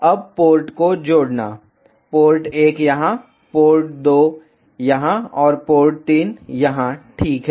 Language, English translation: Hindi, Now adding ports; port 1 here, port 2 here and port 3 here ok